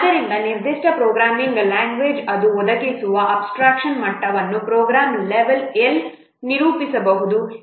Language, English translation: Kannada, So a particular programming language, what is the level of abstraction it provides that is represented as program level L